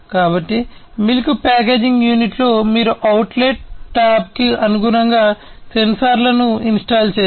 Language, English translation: Telugu, So, in a milk packaging unit you need to install the sensors in line with the outlet tab